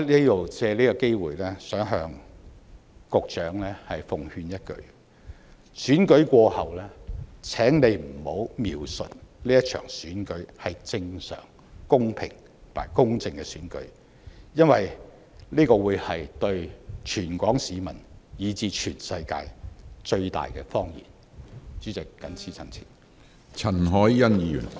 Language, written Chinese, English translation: Cantonese, 我藉此機會奉勸局長一句：選舉過後，請不要描述這場選舉是正常、公平和公正的選舉，因為這對全港市民以至全世界來說是最大的謊言。, I take this opportunity to give a word of advice to the Secretary When the Election is over please do not describe it as a normal fair and just Election as that would be the biggest lie ever served to the people of Hong Kong and the world